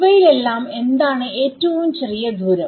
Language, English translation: Malayalam, Of all of these things which of the distances is the shortest